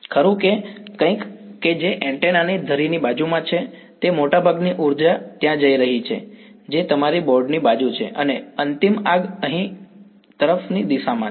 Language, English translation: Gujarati, Right so, something that is along the axis of the antenna itself most of the energy is going over there that is your board side and end fire is in the direction over here like this right